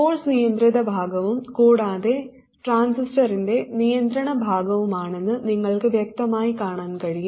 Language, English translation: Malayalam, And you can clearly see that the source belongs to the controlled side as well as the controlling side of the transistor